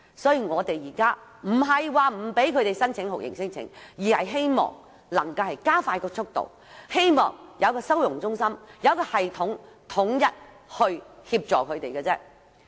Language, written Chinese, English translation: Cantonese, 所以我們現在不是不讓他們申請酷刑聲請，而是希望加快速度審理聲請申請，並希望成立收容中心有系統地為他們提供統一協助。, Hence we are not forbidding the refugees to lodge torture claims . We just want to expedite the screening of non - refoulement claims and establish holding centres to provide organized and unified assistance to them